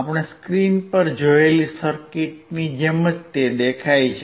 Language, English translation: Gujarati, Similar to the circuit that we have seen on the screen